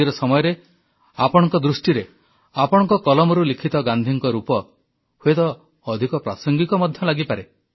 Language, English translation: Odia, And it is possible that in present times, from your viewpoint, the penpicture of Gandhi sketched by you, may perhaps appear more relevant